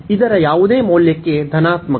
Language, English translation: Kannada, So, for any value of this a positive